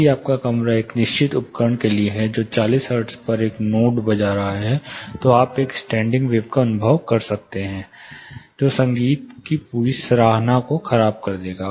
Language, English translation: Hindi, If you are room is meant for certain instrument which is playing a note at 40 hertz, you might experience a standing wave which will spoil the whole appreciation of the music itself